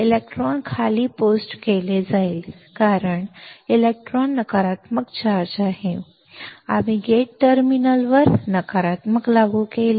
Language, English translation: Marathi, The electrons, will be post down because electron is negatively charged; we applied negative to the gate terminal